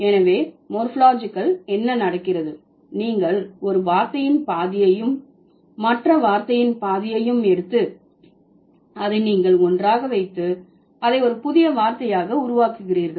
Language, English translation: Tamil, So what happens in morphology, you take half of one word, half of the other word and you put it together and you make it a new word